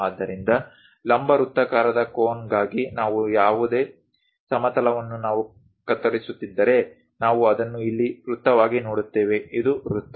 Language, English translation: Kannada, So, any horizontal plane for a right circular cone if we are slicing it, we will see it as circle here, this is the circle